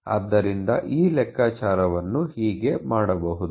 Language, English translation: Kannada, So, that is how this calculation of can be perform